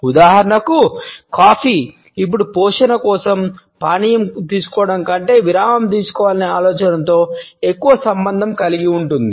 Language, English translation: Telugu, For example, coffee is now associated more with the idea of taking a break than with taking a drink for nourishment